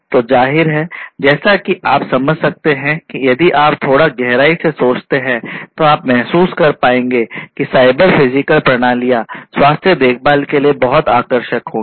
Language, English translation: Hindi, So, obviously, as you can understand if you think a little bit in deep you will be able to realize that cyber physical systems will be very attractive of use for healthcare, right